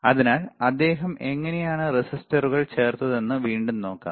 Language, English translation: Malayalam, So, let us see so, again let us see how he has inserted the resistors